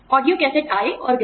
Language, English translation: Hindi, Audiocassettes came and went